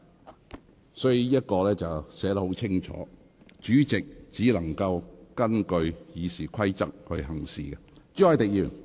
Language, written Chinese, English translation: Cantonese, "條文已清楚訂明有關規則，主席須根據《議事規則》行事。, The subrule has been clearly spelt out and the President must therefore act in accordance with RoP